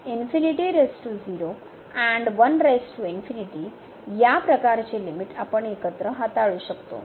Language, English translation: Marathi, So, all these type of limits we can handle all together